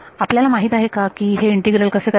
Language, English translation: Marathi, Do we know how to do this integral